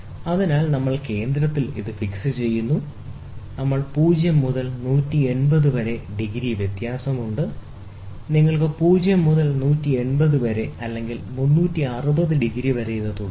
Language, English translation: Malayalam, So, we fix at the centre, and we have angle varying from 0 to 180, you can have 0 to 180 or which can continue up to 360 degrees